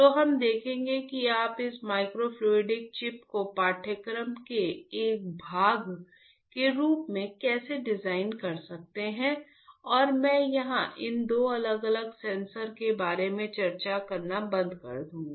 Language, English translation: Hindi, So, we will see how you can design this microfluidic chip as a part of the course and I will stop here discussion about this two different sensors